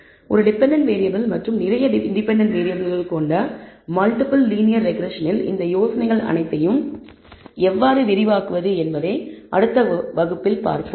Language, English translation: Tamil, Next class will see how to actually extend all of these ideas to the multiple linear regression which consist of many independent variables and one dependent variable